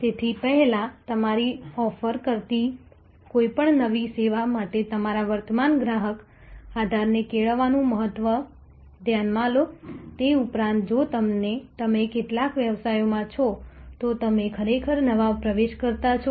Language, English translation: Gujarati, So, first notice the importance of cultivating you existing customer base for any new service that your offering besides that if you are in some businesses you are actually a new entrant